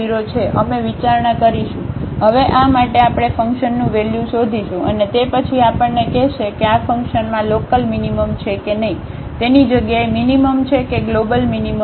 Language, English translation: Gujarati, So, we will consider, now for this we will find the value of the function and then that will tell us whether the function has the local minimum or the rather minimum or the global minimum at this point